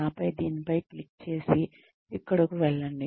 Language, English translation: Telugu, And then, click on this, and go here